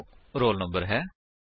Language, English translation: Punjabi, That is roll number